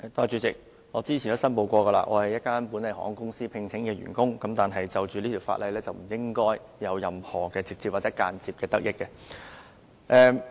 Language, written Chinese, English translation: Cantonese, 主席，我之前已申報，我是本地一家航空公司聘請的員工，但是，就着這條《2017年稅務條例草案》，我是不應該有任何或間接的得益。, President as I have declared before I am an employee of a local airline but the Inland Revenue Amendment No . 2 Bill 2017 the Bill should give no direct or indirect interest to me whatsoever